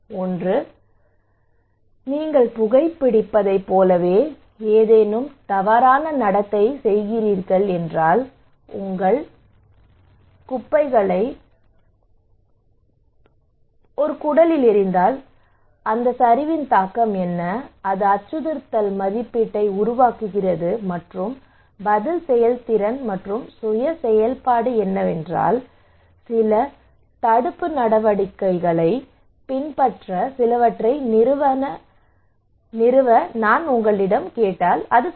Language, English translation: Tamil, One is the fear appeal that is if you are doing some maladaptive behaviour okay like you are smoking, if you are throwing your garbage on a gutter and then what is the impact of this okay and which creates a threat appraisal and the response efficacy and self efficacy is that if I am asking you to do something some to install to adopt some preventive measures okay